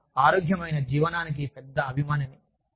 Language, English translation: Telugu, I am a big fan of healthy living